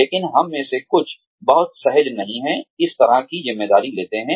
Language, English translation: Hindi, But, some of us, are not very comfortable, taking on that kind of responsibility